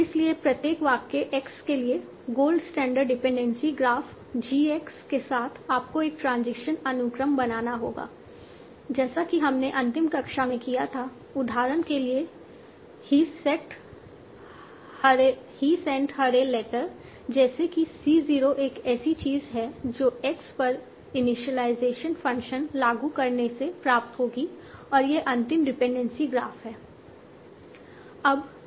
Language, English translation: Hindi, So for each sentence x with the goal distribution of dependency graph TX you have to consider a transition sequence right like we did in the last class for the example he sent her a letter such that c0 is something that will will obtain by applying the initial function on X and this is the final dependency of